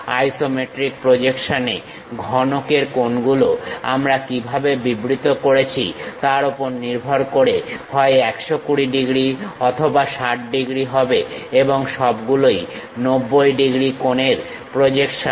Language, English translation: Bengali, The angles in the isometric projection of the cube are either 120 degrees or 60 degrees based on how we are defining and all are projections of 90 degrees angles